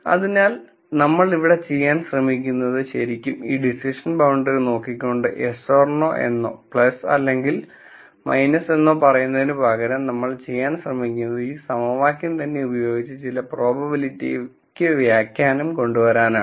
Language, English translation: Malayalam, So, what we are trying to do here is really instead of just looking at this decision boundary and then saying yes and no plus and minus, what we are trying to do is, we are trying to use this equation itself to come up with some probabilistic interpretation